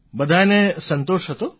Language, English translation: Gujarati, All were satisfied